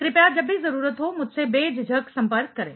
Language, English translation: Hindi, Please feel free to contact me whenever you need